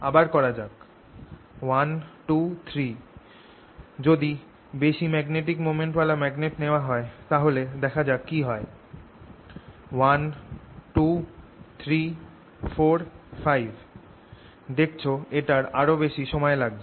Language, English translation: Bengali, ok, if i take a magnet with larger magnetic moment and let's see what happens: one, two, three, four, five, you see it takes much longer